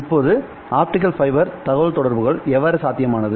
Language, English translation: Tamil, Now, how was optical fiber communications made possible